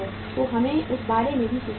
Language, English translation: Hindi, So we will have to think about that also